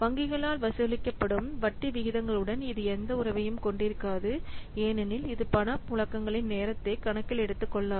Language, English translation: Tamil, So it does not bear any relationship to the interest rates which are charged by the banks since it doesn't take into account the timing of the cash flows